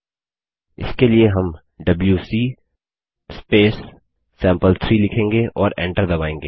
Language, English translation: Hindi, For that we would write wc sample3 and press enter